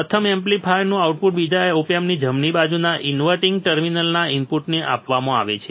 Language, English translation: Gujarati, The output of the first amplifier is fed to the input of the non inverting terminal of the second opamp right